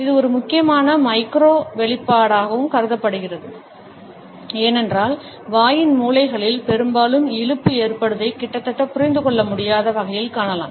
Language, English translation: Tamil, This is also considered to be an important micro expression because we find that often the twitch occurs in the corners of the mouth in almost an imperceptible manner